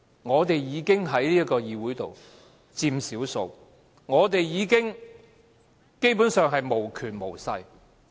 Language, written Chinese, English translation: Cantonese, 我們在這個議會裏已經屬於少數，我們基本上是無權無勢的。, We are already the minority in this legislature basically having neither any power nor any influence